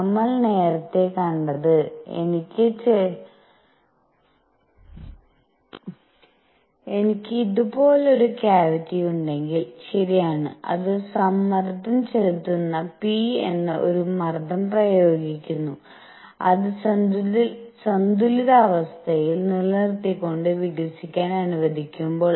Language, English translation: Malayalam, What we have seen earlier is that if I have a cavity like this, right, it is applying a pressure which is applying pressure p, when it is allowed to expand adiabatically keeping it in equilibrium, right